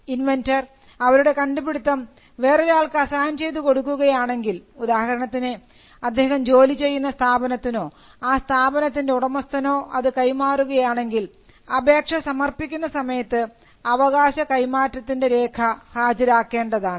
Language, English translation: Malayalam, When an inventor assigns his invention to another person, say the employer or the company where he works, then the company, when it files in patent application, it has to show the proof of right